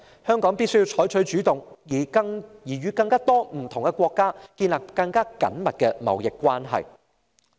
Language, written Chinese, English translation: Cantonese, 香港必須採取主動，與更多不同國家建立更緊密的貿易關係。, Hong Kong must act proactively to establish closer trade relations with more countries